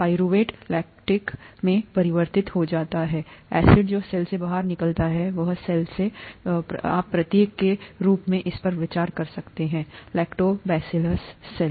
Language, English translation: Hindi, Pyruvate gets converted to lactic acid which gets out of the cell, this is the cell that is here, you could consider this as each Lactobacillus cell